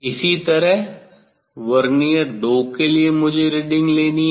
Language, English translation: Hindi, for Vernier 2 I have to take reading